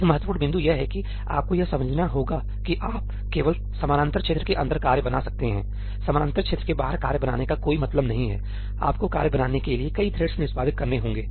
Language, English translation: Hindi, One important point is that you have to understand that you can only create tasks inside the parallel region ; there is no point of creating tasks outside the parallel region; there have to be multiple threads executing for you to create task